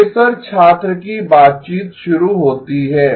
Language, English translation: Hindi, “Professor student conversation starts